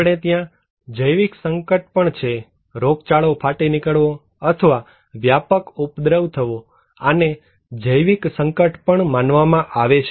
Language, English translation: Gujarati, We have also biological hazards like, outbreaks of epidemics or some kind of animal contaminations or extensive infestations, these are considered to be biological hazards